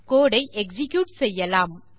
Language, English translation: Tamil, So lets execute this code